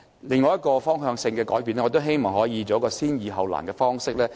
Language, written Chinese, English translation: Cantonese, 另一個方向性的改變是我希望我們可以採用先易後難的方式。, Another directional change is that we hope to adopt the approach of tackling easy problems before thorny ones